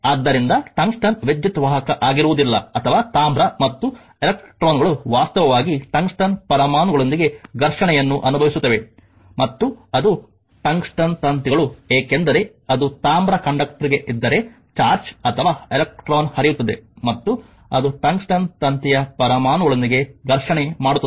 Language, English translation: Kannada, So, tungsten is not as will be as your electrical conductor or as copper and electrons actually experience collisions with the atoms of the tungsten right and that is the tungsten wires, because that if that is to the copper conductor that your what you call charge or electron is flowing and it will make a your what you call collision with the atoms of the tungsten wire